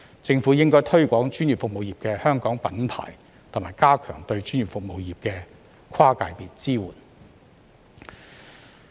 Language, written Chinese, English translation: Cantonese, 政府應該推廣專業服務業的"香港品牌"，以及加強對專業服務業的跨界別支援。, The Government should promote the Hong Kong brand of the professional services industry and enhance cross - sector support for it